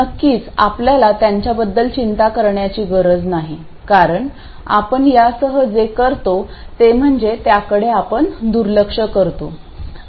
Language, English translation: Marathi, Of course we won't have to worry about them because what do we do with this we just neglect them